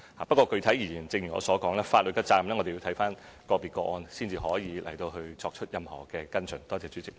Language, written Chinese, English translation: Cantonese, 不過，具體而言，正如我所說，就法律責任來說，我們要視乎個別個案，才可以作出任何跟進。, However as I have pointed out we can only specifically follow up on matters concerning legal responsibility depending on individual cases